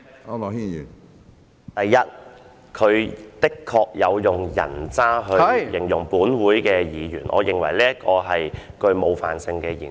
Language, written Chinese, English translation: Cantonese, 主席，第一，他的確有以"人渣"一詞來形容立法會議員。我認為這是冒犯性的言詞。, Chairman first of all he did use the word scum to describe Members of the Legislative Council and I find this term offensive